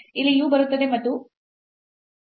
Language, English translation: Kannada, So, here the u will come and here also the u will come